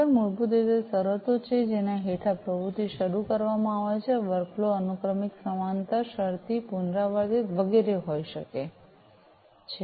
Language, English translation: Gujarati, Trigger basically are the conditions under which the activity is initiated, workflow can be sequential, parallel, conditional, iterative, and so on